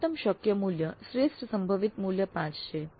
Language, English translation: Gujarati, 6 and the maximum possible value, the best possible value is 5